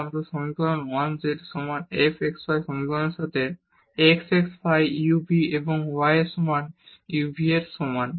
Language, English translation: Bengali, And, the same scenario we have when we have this equation 1 z is equal to f x y with equations x is equal to phi u v and y is equal to psi u v